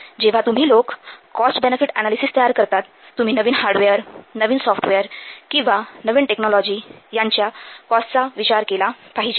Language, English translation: Marathi, While you will prepare the cost benefit analysis, you have to consider the cost of new hardware, new software, new technology you have to take into account this cost